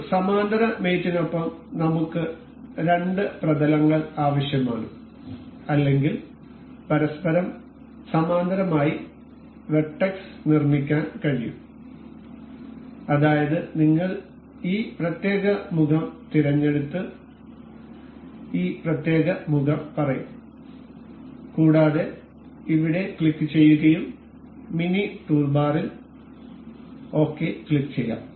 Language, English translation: Malayalam, With parallel mate I need two planes or vertex can be made parallel in relation to each other such as we will select this particular face and say this particular face and we will click we can click ok in the mini toolbar here as well